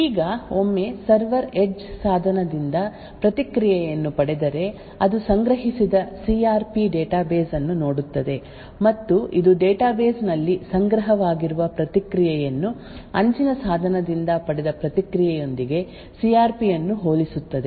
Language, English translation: Kannada, Now once the server obtains the response from the edge device, it would look of the CRP database that it has stored and it would compare the CRP the response stored in the database with the response obtained from the edge device